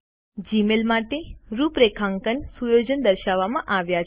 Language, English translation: Gujarati, The configuration settings for Gmail are displayed